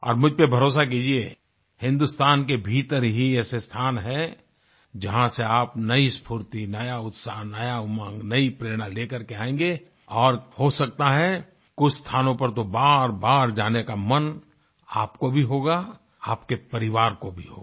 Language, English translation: Hindi, And trust me, there are places within India from where you will come back with renewed energy, enthusiasm, zeal and inspiration, and maybe you will feel like returning to certain places again and again; your family too would feel the same